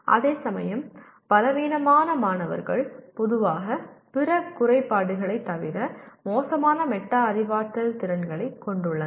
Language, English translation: Tamil, Whereas, weaker students typically have poor metacognitive skills besides other deficiencies